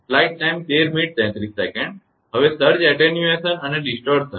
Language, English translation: Gujarati, Now, Surge Attenuation and Distortion